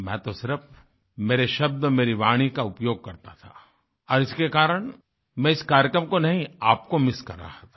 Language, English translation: Hindi, I just used my words and my voice and that is why, I was not missing the programme… I was missing you